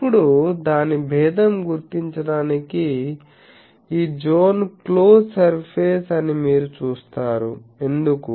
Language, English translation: Telugu, Now, to distinguish that, this zone you see that this is a close surface, why